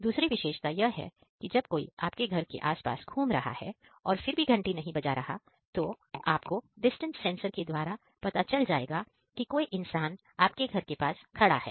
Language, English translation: Hindi, The second feature is even though if somebody is roaming around your house and not clicking the bell, we have a distance sensor to sense the presence of a person nearby